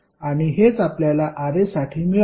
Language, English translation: Marathi, And this is what we got for Ra